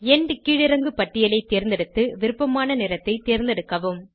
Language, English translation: Tamil, Select End drop down and select colour of your choice